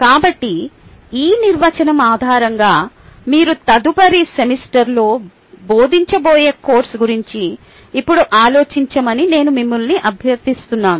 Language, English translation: Telugu, so, based on this definition, i request you to now think about a course that you are going to teach in the next semester